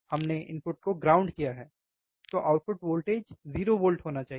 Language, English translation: Hindi, We have grounded, input we have grounded, means output voltage should be 0 volt, right